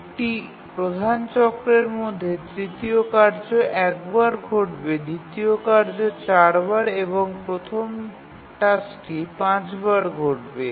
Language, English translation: Bengali, So, in one major cycle, the third task will occur once, the second task will occur four times and the first task will occur five times